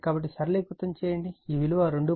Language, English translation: Telugu, So, you just simplify, it will get 2